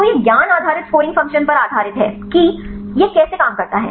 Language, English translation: Hindi, So, this is based on knowledge based scoring function how this works